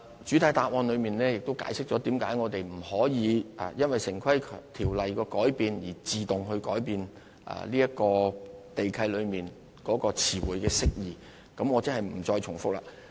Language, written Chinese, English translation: Cantonese, 主體答覆亦解釋了我們為何不能夠因應《城市規劃條例》的改變，而自動改變地契中的詞彙釋義，我便不再重複了。, As I have already explained in the main reply why we cannot automatically align the definitions of the terms in land leases with the amendments made to the Town Planning Ordinance I will not repeat myself here